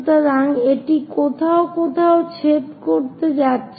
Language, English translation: Bengali, So, it is going to intersect somewhere there